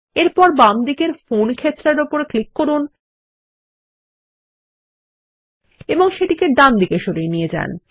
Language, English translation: Bengali, Next, let us click on the Phone field on the left and move it to the right